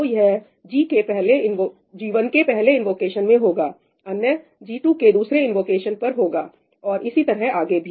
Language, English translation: Hindi, So, this is for the first invocation of g1, another for the second invocation of g2 and so on